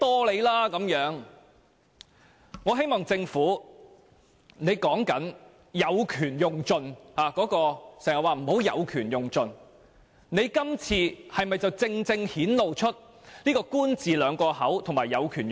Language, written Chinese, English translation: Cantonese, 政府經常叫我們不要"有權用盡"，但政府今次的做法，不是正正顯露"官字兩個口"和"有權用盡"？, The Government often tells us not to exercise our rights to the fullest; however doesnt this act reflect precisely that the Government is free to do whatever it wants and it has exercised its rights to the fullest?